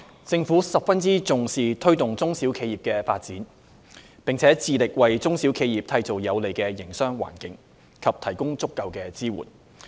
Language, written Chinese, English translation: Cantonese, 政府十分重視推動中小企業的發展，並致力為中小企業締造有利營商的環境，以及提供足夠支援。, The Government has attached great importance to promoting SMEs development and is committed to creating a favourable business environment and providing adequate support for SMEs